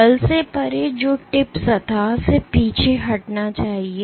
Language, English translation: Hindi, Force beyond which tip should retract from the surface ok